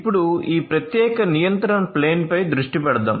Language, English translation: Telugu, So, let us now focus on this particular control plane